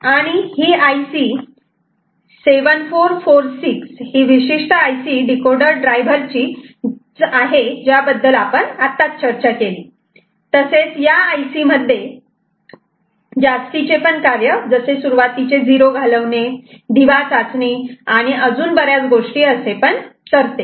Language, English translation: Marathi, And this IC 7446 this particular IC which is the decoder driver other than the basic concept that we have discussed here, it has got additional functionality like blanking of leading zero, lamp test and other things ok